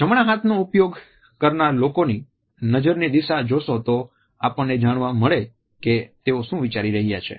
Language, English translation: Gujarati, If you look at the direction of the gaze in right handed people, we can try to make out in which direction they want to think